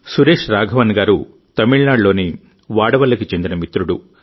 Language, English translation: Telugu, Suresh Raghavan ji is a friend from Vadavalli in Tamil Nadu